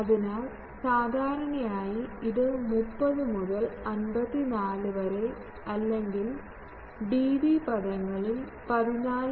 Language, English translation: Malayalam, So, typically that comes to 30 to 54 or in dB terms 14